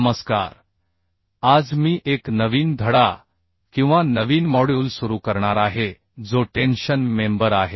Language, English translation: Marathi, Hello, today I am going to start a new chapter on new module, that is, tension member